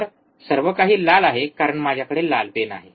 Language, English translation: Marathi, So, everything is red, because my pen is red